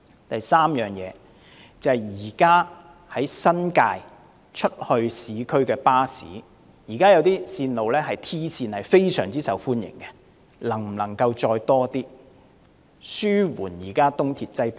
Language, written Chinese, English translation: Cantonese, 第三，現時由新界到市區的一些 "T 線"巴士非常受歡迎，可否再增加一些，以紓緩東鐵的客量？, Third given the popularity of some T route buses plying between the New Territories and the urban districts can such services be stepped up further as a way of easing the ERL patronage?